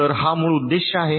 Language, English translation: Marathi, so this is the basic purpose